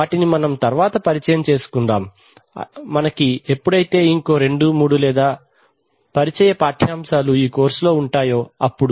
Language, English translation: Telugu, So we will introduce them later if we have, when we have one or two introductory courses, introductory lectures lessons in this course